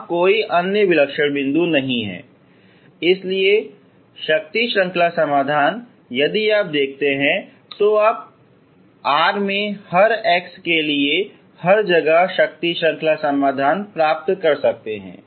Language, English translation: Hindi, There is no other singular point so power series solutions if you look for you can get the power series solutions everywhere for every x in R, ok